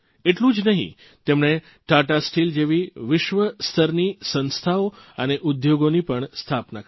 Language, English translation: Gujarati, Not just that, he also established world renowned institutions and industries such as Tata Steel